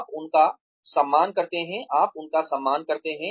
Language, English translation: Hindi, You respect them, you treat them with respect